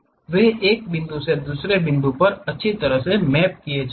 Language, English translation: Hindi, They will be nicely mapped from one point to other point